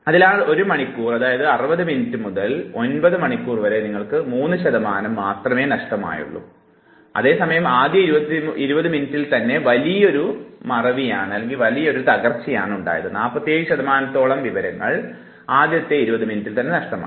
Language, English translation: Malayalam, So, from 1 hour, that is 60 minutes to 9 hours you just have an addition of 3 percent of loss, whereas in the first 20 minutes you have a massive down fall, 47 percent of information is lost